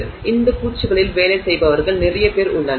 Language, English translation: Tamil, So, there is a lot of people who work on these coatings